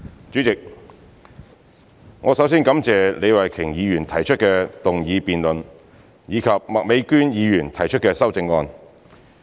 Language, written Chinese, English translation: Cantonese, 主席，我首先感謝李慧琼議員提出的議案辯論，以及麥美娟議員提出的修正案。, President first I wish to thank Ms Starry LEE for proposing the motion debate and Ms Alice MAK for proposing the amendment